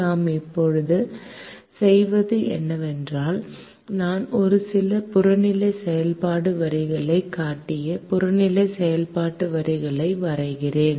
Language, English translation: Tamil, what we do now is we draw objective function lines